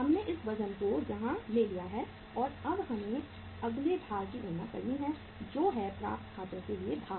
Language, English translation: Hindi, We have taken this weight here and now we have to calculate the next weight that is the weight ar that is the weight for the accounts receivable